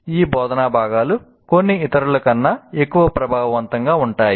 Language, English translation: Telugu, Some of these instructional components are more effective than others